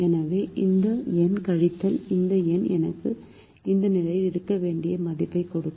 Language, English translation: Tamil, so this number minus this number will give me the value that i should have in this position